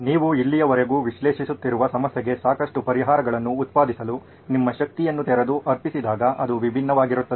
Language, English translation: Kannada, Divergent is when you open up and dedicate your energies into generating a lot of solutions for the problem that you’ve been analyzing so far